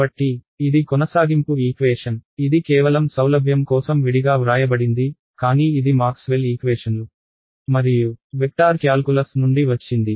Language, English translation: Telugu, So, this is your continuity equation right, it is just written separately just for convenience, but it just comes from Maxwell’s equations and vector calculus ok